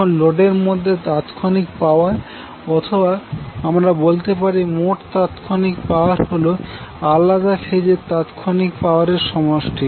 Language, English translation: Bengali, Now total instantaneous power in the load, you can say the total instantaneous power will be the sum of individual phase instantaneous powers